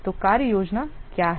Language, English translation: Hindi, So, what is your work plan